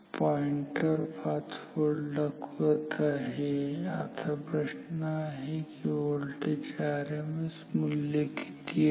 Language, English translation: Marathi, So, the pointer is indicating 5 volt, now the question is what is the value of RMS value of this voltage V in